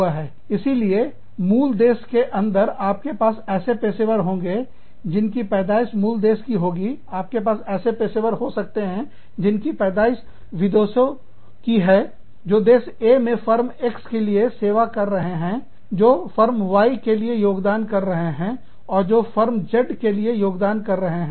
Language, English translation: Hindi, So, within the parent country, you could have citizens, you could have native born professionals, you could have foreign born professionals, serving in Country A, that are contributing to the working of, the Firm X, that are contributing to the working of Firm Y1, that are contributing to the working of Firm Z